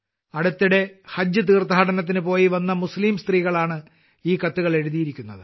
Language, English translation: Malayalam, These letters have been written by those Muslim women who have recently come from Haj pilgrimage